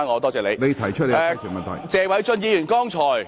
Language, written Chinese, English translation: Cantonese, 我現在請謝偉俊議員答辯。, I now call upon Mr Paul TSE to reply